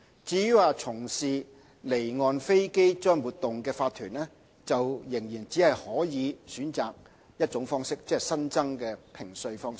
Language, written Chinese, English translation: Cantonese, 至於從事離岸飛機租賃活動的法團，仍只可選擇一種評稅方式，即新增的評稅方式。, With regard to corporations engaging in offshore aircraft leasing activities they only have one tax assessment option and that is the new tax assessment regime